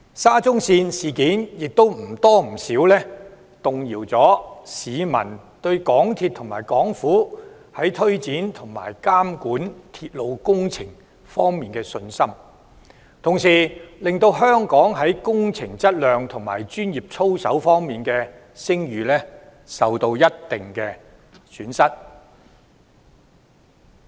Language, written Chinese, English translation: Cantonese, 沙中線事件或多或少動搖了市民對香港鐵路有限公司和港府推展及監管鐵路工程的信心，同時令香港在工程質量及專業操守方面的聲譽受到一定程度的損害。, The SCL incident has more or less undermined public confidence in the MTR Corporation Limited MTRCL and the Hong Kong Government in their implementation and monitoring of railway projects . At the same time it has somewhat dealt a blow to Hong Kongs reputation in terms of our quality of works projects and professional conduct